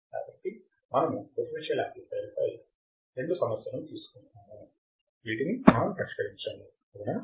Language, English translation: Telugu, So, we have taken two problems in which we have solved the differential amplifier right